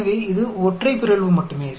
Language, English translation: Tamil, So, it is only single mutation